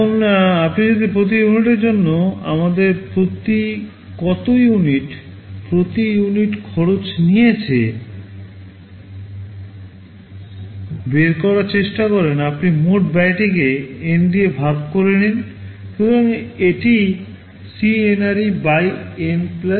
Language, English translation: Bengali, Now, if you try to calculate how much cost we have incurred for every unit, the per unit cost, you divide the total cost by N